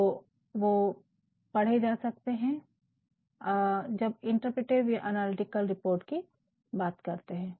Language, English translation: Hindi, So, they can be read when we talk about interpretive or analytical report